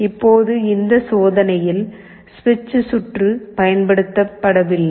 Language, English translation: Tamil, Now the switch circuit is not used in this experiment